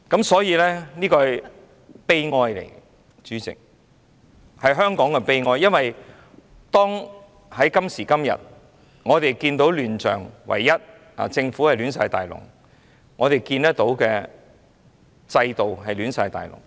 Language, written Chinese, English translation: Cantonese, 所以，這是悲哀，主席，是香港的悲哀，因為今時今日我們看見政府亂七八糟，制度亂七八糟。, So this is pathetic Chairman . I feel sad for Hong Kong because nowadays the Government is a mess and the system is a mess